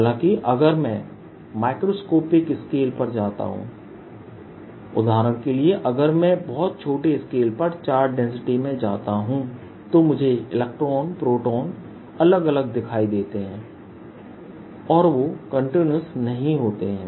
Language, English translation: Hindi, however, if i go to microscopic scale, right, for example, if i go in charge density to very small scale, i see electrons, protons separately